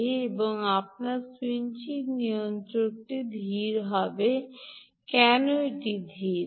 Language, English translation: Bengali, now why is the switching regulator slower